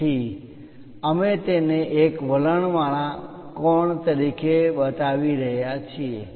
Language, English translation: Gujarati, So, we are showing it as inclined angle